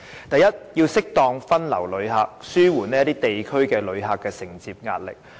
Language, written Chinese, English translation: Cantonese, 第一，要適當地將旅客分流，以紓緩某些地區承接旅客的壓力。, First visitors should be suitably diverted to alleviate the pressure borne by certain districts in receiving visitors